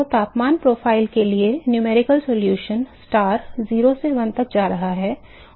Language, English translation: Hindi, So, the numerical solution of for the temperature profile the star going from 0 to 1 and this is eta